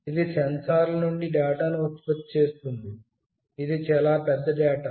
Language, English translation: Telugu, It generates data from these sensors, a lot of data